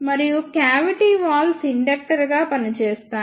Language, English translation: Telugu, And the cavity walls acts as an inductor